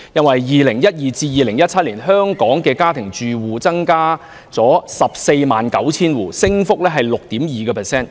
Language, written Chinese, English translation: Cantonese, 在2012年至2017年期間，香港家庭住戶數目增加了 149,000 戶，升幅為 6.2%。, Between 2012 and 2017 the number of new domestic households in Hong Kong was 149 000 representing an increase of 6.2 %